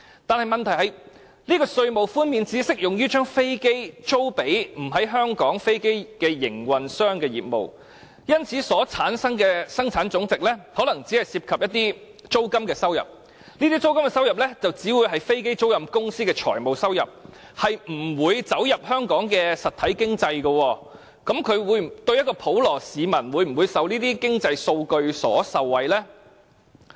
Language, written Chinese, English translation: Cantonese, 但問題是，稅務寬免只適用於將飛機租予"非香港飛機營運商"的業務，因此，所產生的本地生產總值可能只涉及租金收入，這些租金收入只會是飛機租賃公司的財務收入，不會走進香港的實體經濟，普羅市民會否因為這些經濟數據而受惠呢？, But the question is that the tax concession applies only to the business of leasing aircraft to non - Hong Kong aircraft operators . Therefore the GDP generated may only involve income from lease payments . These lease payments can only be the financial revenue of the aircraft leasing companies but will not enter the real economy